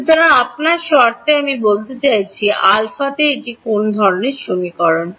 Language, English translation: Bengali, So, in terms of your I mean what kind of an equation is this in alpha